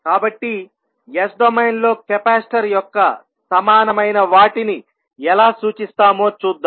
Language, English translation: Telugu, So, let us see how we will represent the equivalents of capacitor in s domain